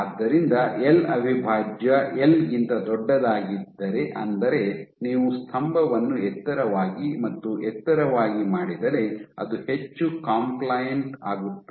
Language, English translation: Kannada, So, if L prime is greater than L simply because if you make the pillar tall and tall it becomes more compliant